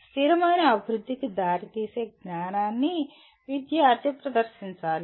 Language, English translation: Telugu, Student should demonstrate the knowledge of what can lead to sustainable development